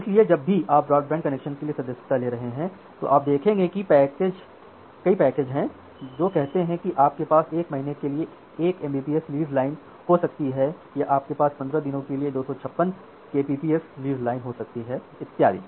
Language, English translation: Hindi, So, whenever you are subscribing for broadband connection there are you will see that there are multiple packages say you can have 1 Mbps of leased line for 1 month, you have can have 256 Kbps of leased line for 15 days and so on